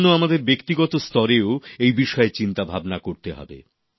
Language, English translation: Bengali, Therefore, we have to ponder over this issue on individual level as well